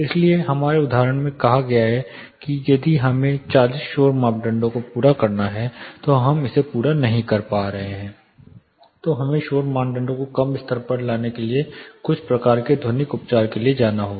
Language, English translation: Hindi, So, in our example say if we have to meet 40 nice criteria we will not be actually meeting it, we will have to go for certain kind of acoustical treatment in order to bring the noise criteria to a lower level